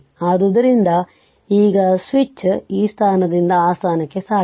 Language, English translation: Kannada, So, now switch has moved from this position to that position right